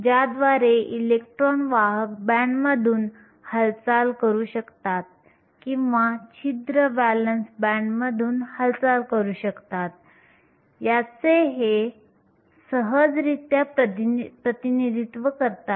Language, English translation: Marathi, They represent the ease with which the electrons can move through the conduction band or the holes can move through the valence band